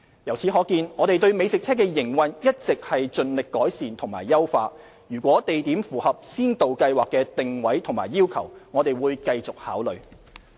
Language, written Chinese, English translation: Cantonese, 由此可見，我們對美食車的營運一直盡力改善和優化，如有地點符合先導計劃的定位和要求，我們會繼續考慮。, It can be seen that we have always strived to improve and refine the operation of food trucks . We will continue to consider if there are locations meeting the positioning and requirements of the Pilot Scheme